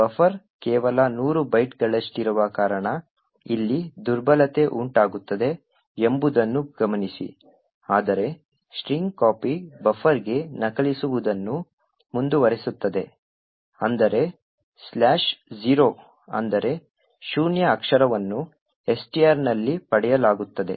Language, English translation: Kannada, Now note that the vulnerability occurs over here because buffer is of just 100 bytes while string copy would continue to copy into buffer until slash zero or a null character is obtained in STR